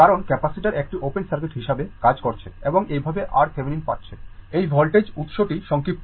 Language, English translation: Bengali, Because, capacitor is acting as open circuit right and this for getting R Thevenin, this voltage source will be shorted right